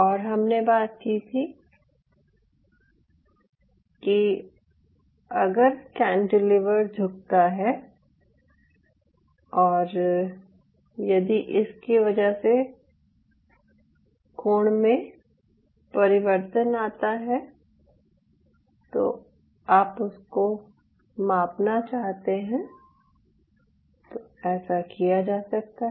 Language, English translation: Hindi, now, in the last class we talked about that if the cantilever bends and if you have a way to measure the change in the angle of the cantilever, then you can do so